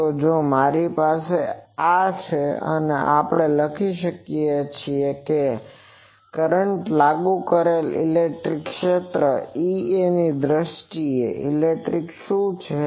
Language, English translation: Gujarati, So, if I have this, then we can write that what is the electric in terms of the applied electric field E A